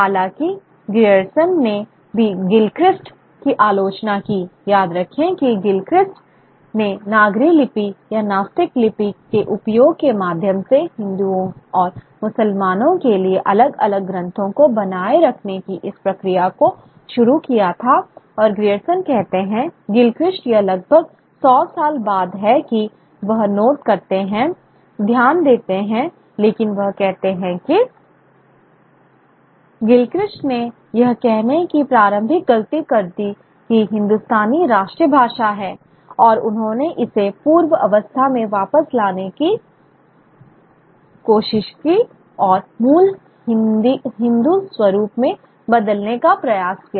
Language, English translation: Hindi, Remember Gilchrist started this process of producing, maintaining different texts for Hindus and Muslims through the use of either the Nagery script or the or the or the natholic script and his agrees and is a Glechrist it's almost a hundred years later that he is noting but Gilchrist he says that Grylchrist made the initial mistake of supposing that Hindustani was the national language and he attempted to restore it to what he imagined must have been its original Hindu form by turning out all Arabic and Persian words and substituting Hindu and Sanskrit ones